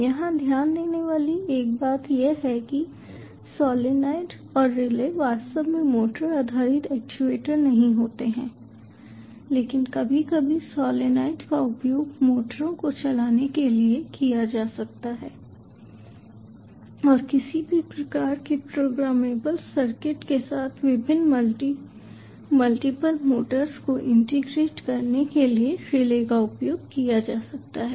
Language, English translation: Hindi, one point to note here is solenoid and relays are not actually motor based actuators, but sometimes solenoid may be used to drive motors and relays may be used to integrate various multiple motors with any kind of programmable circuit